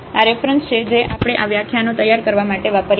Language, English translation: Gujarati, These are the references we have used to prepare these lectures